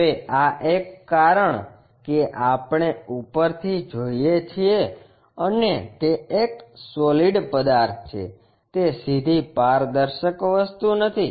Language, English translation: Gujarati, Now, this one because we are looking from top and it is a solid object, it is not straightforwardly transparent thing